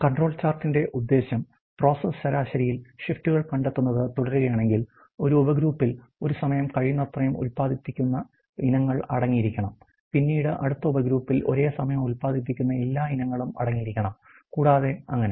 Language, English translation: Malayalam, And if the purpose of the control chart is to keep detecting shifts in the process average one subgroup should consist of items produce as nearly as possible to at one time the next subgroup should consist of all the items of items all produced at a single time later, and so forth